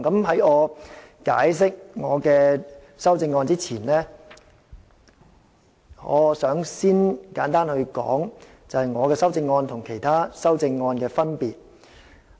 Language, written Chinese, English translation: Cantonese, 在解釋我的修正案之前，我想先簡單說說我的修正案與其他修正案的分別。, Before I explain my amendments I would like to briefly account for the differences between my amendments and the other amendments